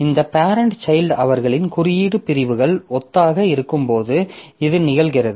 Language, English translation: Tamil, So, this is happening when this parent and child their code segments are similar